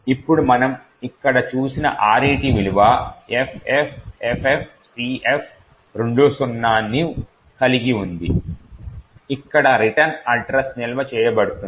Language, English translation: Telugu, Now what we see over here is RET has a value FFFFCF20 and this corresponds to this location and this actually is where the return address is stored